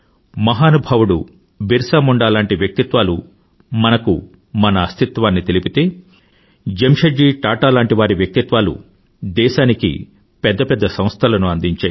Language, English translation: Telugu, If the valourousBhagwanBirsaMunda made us aware of our existence & identity, farsightedJamsetji Tata created great institutions for the country